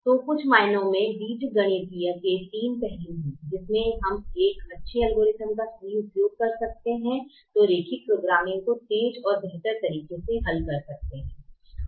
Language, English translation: Hindi, so in some ways, there are three aspects of the algebraic method which, if we can correct using a better algorithm, we can solve linear programming faster and better